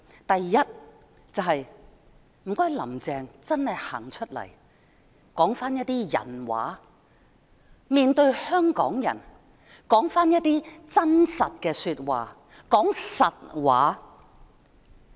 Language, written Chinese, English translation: Cantonese, 第一，請"林鄭"真的走出來說一些"人話"，面對香港人說一些真實的說話，說實話。, First Carrie LAM should please really come forward with some humane and truthful remarks in the face of Hong Kong people